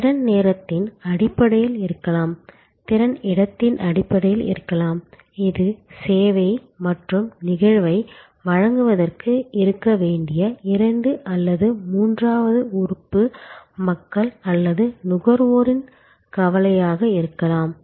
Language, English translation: Tamil, So, capacity can be in terms of time, capacity can be in terms of space, it can be a combination of the two and the third element people who provide the service or consumers, who needs to be there for the service to happen